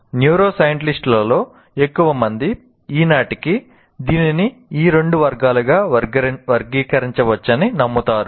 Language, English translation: Telugu, This is how majority of the neuroscientists, as of today, they believe it can be classified into two categories